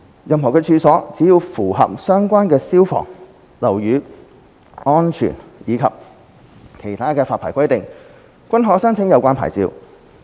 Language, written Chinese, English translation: Cantonese, 任何處所，只要符合相關消防、樓宇安全及其他發牌規定，均可申請有關牌照。, A licence may be applied for any premises provided that the premises comply with the fire and building safety requirements and other requirements of the licensing regime